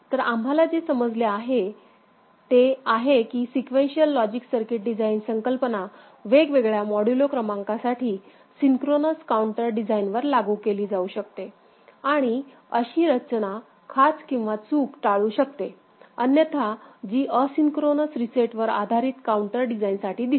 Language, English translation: Marathi, So, what we have understood is that sequential logic circuit design concept can be applied to synchronous counter design for different modulo numbers and such design can avoid the glitch which otherwise is seen for asynchronous reset based counter design